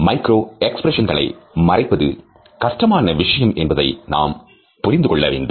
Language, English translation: Tamil, Even though it is difficult to understand micro expressions as well as to conceal them